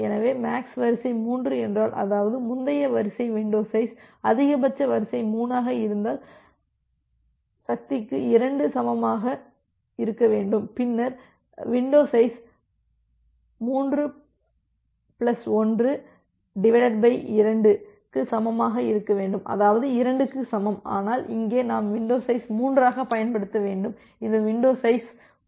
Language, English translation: Tamil, So, if my MAX sequence is 3; that means, my earlier ideal window size should be equal to 2 to the power if my max sequence is 3 then my window size should be equal to 3 plus 1 divided by 2; that means, equal to 2, but here we are using a window size 3, 1 more than the actual it is window size that we should use